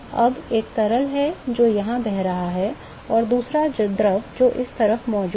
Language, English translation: Hindi, Now there is one fluid which is flowing here and another fluid which is present on this side